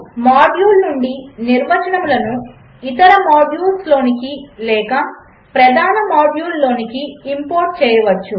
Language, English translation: Telugu, Definitions from a module can be imported into other modules or into the main module